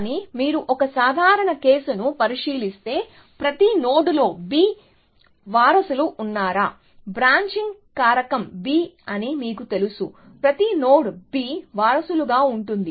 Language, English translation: Telugu, But, if you look at a general case, were every node has b successors, you know branching factor is b, every node as b successors